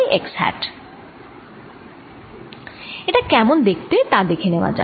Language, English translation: Bengali, let's see how it looks